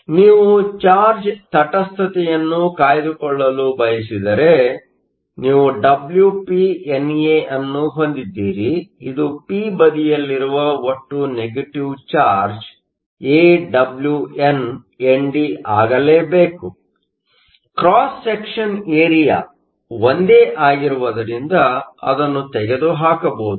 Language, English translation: Kannada, So, if you want to maintain charge neutrality, you have A Wp NA, which is the total negative charge on the p side must be AWnND; the cross section area is the same, so that can be removed